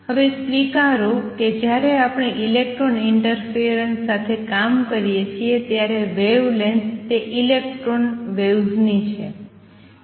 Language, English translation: Gujarati, Accept that now, when we work with electron interference wavelength is that of electron waves